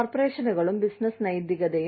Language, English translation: Malayalam, Corporations and business ethics, again